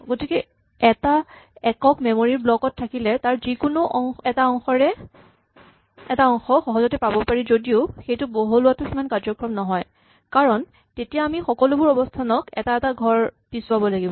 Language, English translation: Assamese, So, when we have a single block of memory though it is efficient to get to any part of it quickly it is not very efficient to expand it because we have to then shift everything